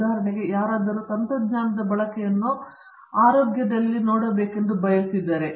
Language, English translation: Kannada, For example, someone wants to look at the use of technology in health